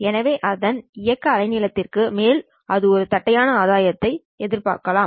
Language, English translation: Tamil, So over its operating wavelength, you would expect it to have a flat gain